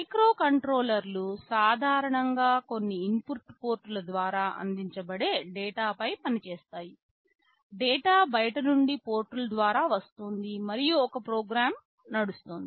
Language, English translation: Telugu, Microcontrollers typically operate on data that are fed through some input ports; data coming from outside through the ports, and there is a program which is running